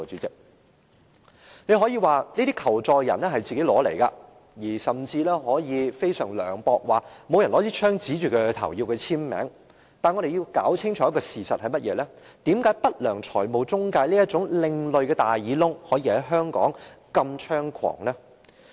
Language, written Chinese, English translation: Cantonese, 大家可以說這些求助人自討苦吃，更可以非常涼薄地說沒人拿槍指着他們迫他簽署，但我們要搞清楚一個事實，就是為何不良財務中介這種另類"大耳窿"可在香港如此猖狂？, People may say that these victims have asked for it . They may even make extremely harsh comments by saying that no one force these victims to sign the contract at gunpoint . We must be clear about one point Why can unscrupulous financial intermediaries these atypical loan sharks operate rampantly in Hong Kong?